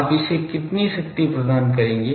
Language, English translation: Hindi, How much power you will deliver to it